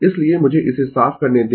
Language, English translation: Hindi, So, let me clear this